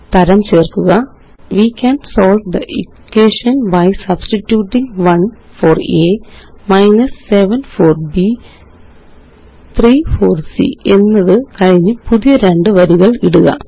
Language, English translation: Malayalam, And type: We can solve the equation by substituting 1 for a, 7 for b, 3 for c followed by two newlines